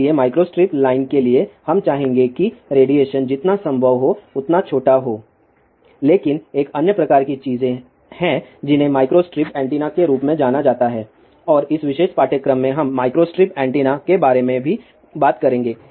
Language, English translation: Hindi, So, 4 micro strip line, we would like the radiation to be as small as possible , but there is a another type of things which is known as a micro strip antennas and in this particular course, we will talk about micro strip antennas also